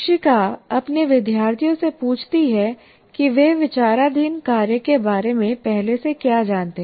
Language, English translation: Hindi, Teacher asks her students what they already know about the task under consideration